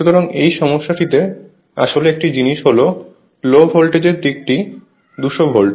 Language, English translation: Bengali, So, in this problem one thing actually one thing is that the low voltage side is 200 volt